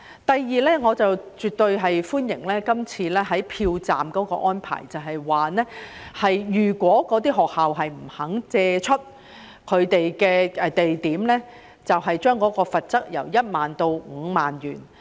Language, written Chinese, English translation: Cantonese, 第二，我絕對歡迎這次有關票站的安排，便是如果學校不肯借出場地，便將罰款由1萬元增至5萬元。, Second I certainly welcome the arrangements concerning polling stations that is if a school refuses to make available its premises the fine will be increased from 10,000 to 50,000